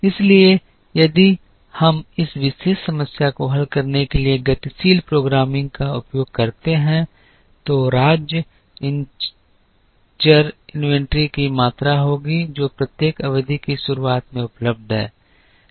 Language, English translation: Hindi, So, if we use dynamic programming to solve this particular problem, then the state variable will be the amount of inventory that is available at the beginning of each period